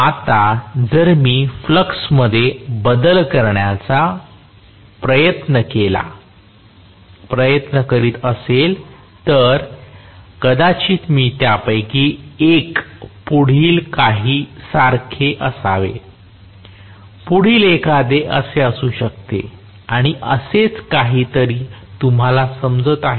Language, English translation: Marathi, Now, if I try to vary the flux I am going to have probably one of them somewhat like this the next one some of like this, the next one may be like this and so on so are you getting my point